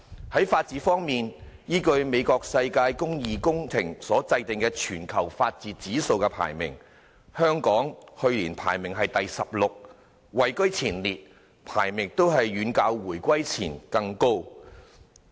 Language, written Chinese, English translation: Cantonese, 在法治方面，依據世界公義工程所制訂的全球法治指數排名，香港去年排名第十六位，位居前列，排名遠較回歸前高。, On the rule of law according to the Rule of Law Index prepared by the World Justice Project Hong Kong took up a leading position being ranked 16 in the world last year a much higher place than that before the reunification